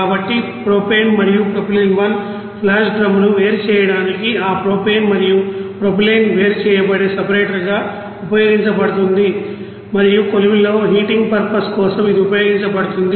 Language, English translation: Telugu, So for that to separate the propane and propylene 1 you know flash drum is used as a separator where this propane and propylene will be you know separated and it will be you know utilized for heating purpose in the furnace